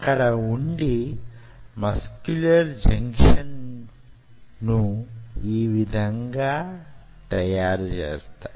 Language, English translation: Telugu, they will be sitting there and they will form then your muscular junctions like this